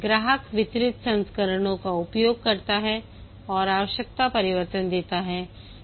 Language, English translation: Hindi, The customer uses the delivered versions and gives requirement changes